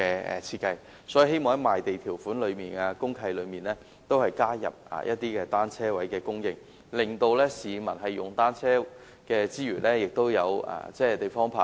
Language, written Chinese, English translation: Cantonese, 因此，我希望政府在賣地條款及公契內加入單車泊位的供應，令使用單車的市民有地方泊車。, To this end I hope the Government can prescribe in the conditions of land sale and the Deed of Mutual Covenant DMC the supply of bicycle parking spaces so that bicycle users can have a place to park their bicycles